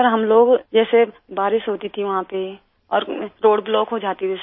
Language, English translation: Hindi, Sir, when it used to rain there, the road used to get blocked